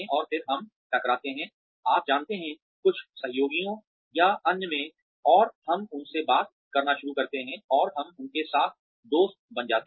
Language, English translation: Hindi, And then, we bump into, you know, some colleagues or in other, and we do start talking to them, and we end up becoming friends with them